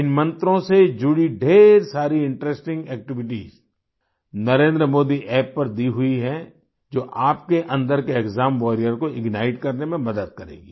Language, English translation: Hindi, A lot of interesting activities related to these mantras are given on the Narendra Modi App which will help to ignite the exam warrior in you